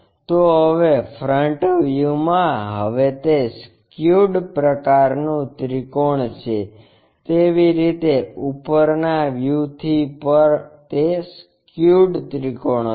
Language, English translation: Gujarati, So, front view now it is skewed kind of triangle similarly from top view also it will be a skewed triangle